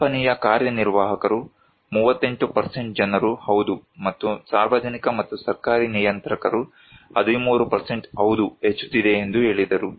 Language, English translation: Kannada, Company executives they believe 38% say yes and public and government regulators; 13 % said yes increasing